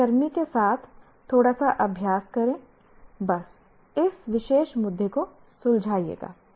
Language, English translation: Hindi, A little bit of practice along with a colleague will just settle this particular issue